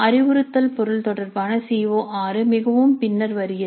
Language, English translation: Tamil, The instructional material related to CO6 comes in much later only